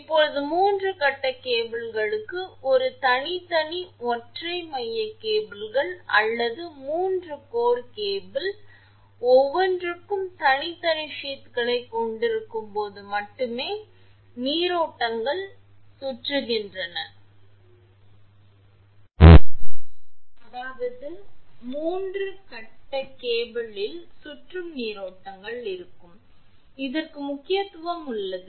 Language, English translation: Tamil, Now, for 3 phase cables circulating currents are important only when 3 separate single core cables or a 3 core cable with each core having separate sheath are used; that is, in a 3 phase cable the circulating currents will be there and this has importance